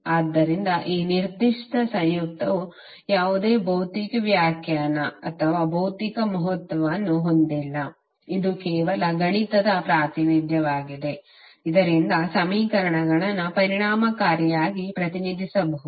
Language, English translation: Kannada, So the conjugate is not having any physical interpretation or physical significance in this particular depression this is just a mathematical representation, so that we can represent the equations effectively